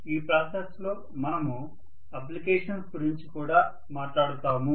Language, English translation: Telugu, So in the process we will also be talking about applications, right